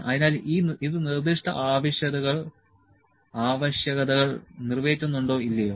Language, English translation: Malayalam, So, does it meet the specific requirements or not